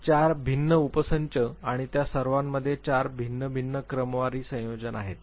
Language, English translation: Marathi, So, 4 different subsets and all of them have 4 different permutation combinations